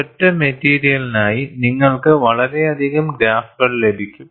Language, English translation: Malayalam, For one single material you get so many graphs